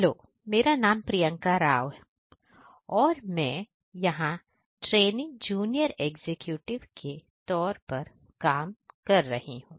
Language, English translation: Hindi, Hello everyone myself Priyanka Rao and I am working here as training junior executive